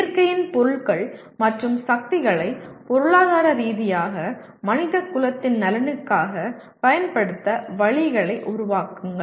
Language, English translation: Tamil, Develop ways to utilize economically the materials and forces of nature for the benefit of mankind